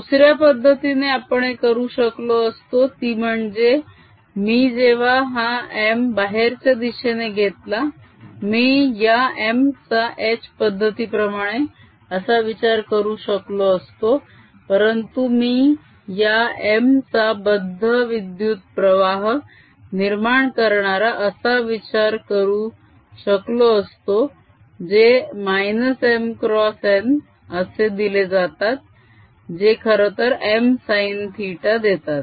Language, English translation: Marathi, i could have thought of this m not as this through h method, but i could have thought of this m giving rise to these bound currents which are minus n cross m, which actually gave me m sine theta